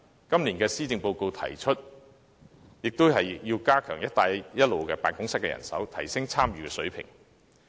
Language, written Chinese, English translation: Cantonese, 今年施政報告亦提出要加強"一帶一路"辦公室的人手，提升本港的參與程度。, And Hong Kongs policy address for this year also proposes to reinforce the manpower for the Belt and Road Office so as to enhance Hong Kongs participation